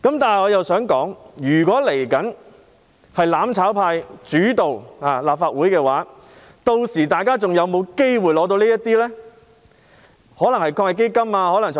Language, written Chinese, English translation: Cantonese, 不過，我想說的是，如果日後由"攬炒派"主導立法會的話，屆時市民是否還有機會得到這些援助呢？, However what I want to say is if the mutual destruction camp dominates the Legislative Council in the future will members of the public still have the chance to receive such assistance by then?